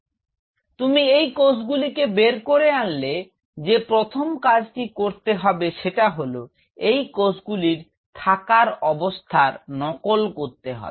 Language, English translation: Bengali, So, you take out these cells first thing what have to mimic is if I these cells out here